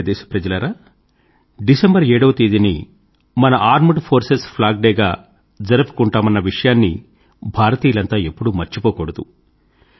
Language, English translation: Telugu, My dear countrymen, we should never forget that Armed Forces Flag Day is celebrated on the 7thof December